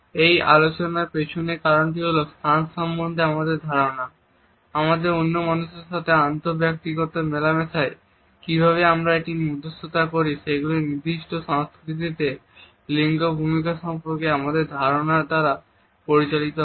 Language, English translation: Bengali, The idea behind all these discussion is that our understanding of a space how do we negotiate it in our inter personal interaction with other people is guided by our understanding of gender roles in a particular culture